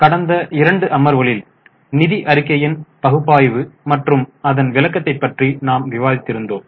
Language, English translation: Tamil, Namaste In last two sessions we have been discussing about analysis and interpretation of financial statements